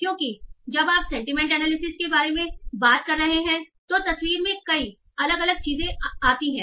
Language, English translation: Hindi, So because when you are talking about sentiment analysis there are many many different things in picture